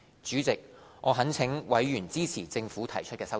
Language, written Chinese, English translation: Cantonese, 主席，我懇請委員支持政府提出的修正案。, Chairman I urge Members to support the amendments proposed by the Government